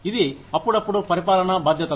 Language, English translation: Telugu, It is just occasional administrative responsibilities